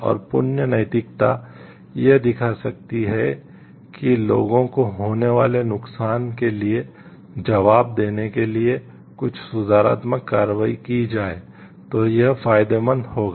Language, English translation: Hindi, And virtue ethics may show like it will be beneficial if certain corrective actions are taken to answer for the harm caused to the people